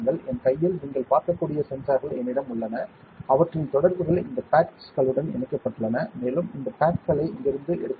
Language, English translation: Tamil, In my hand, I have the sensors which you can see and their contacts have been wire bonded on to these pads and these pads can be taken from here